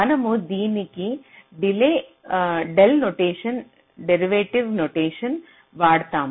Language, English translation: Telugu, you use it in the del notation, derivative notation del f i